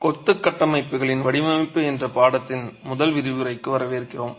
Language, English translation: Tamil, Welcome to our first lecture in the course on design of masonry structures